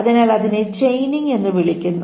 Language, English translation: Malayalam, So that is called the chaining